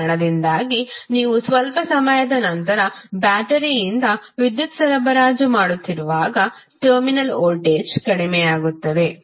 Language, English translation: Kannada, So, because of that when you keep on supplying power from the battery after some time the terminal voltage will go down